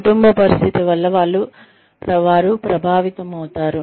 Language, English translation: Telugu, They could be influenced by a family situation